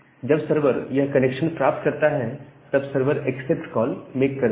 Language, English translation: Hindi, So, once the server gets this connection, it makes a accept call